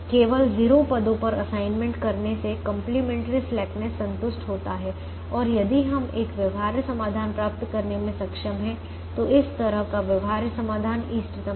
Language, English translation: Hindi, by making assignments only in zero positions, complimentary slackness is satisfied, and if we are able to get a feasible solution, then such a feasible solution is optimum